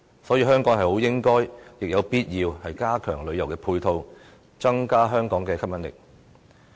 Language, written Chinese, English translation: Cantonese, 所以，香港有必要加強旅遊配套，增加香港的吸引力。, As a result Hong Kong needs to strengthen tourism supporting facilities and measures to enhance its appeal